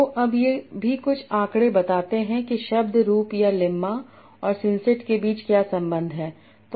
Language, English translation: Hindi, So now this also, this figure some sort of explains what is the relation between the word form or the lemma and the syncs